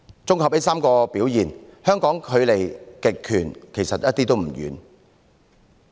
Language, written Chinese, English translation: Cantonese, 綜合上述3種表現，香港距離極權統治其實一點也不遠。, Having regard to the three aforementioned manifestations it can be said that Hong Kong is actually not far from totalitarian rule at all